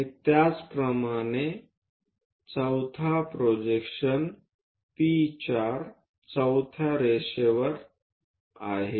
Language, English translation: Marathi, And similarly fourth projection on to fourth line P 4